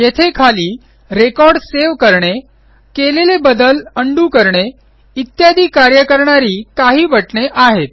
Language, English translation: Marathi, Here are some push buttons at the bottom for performing actions like saving a record, undoing the changes etc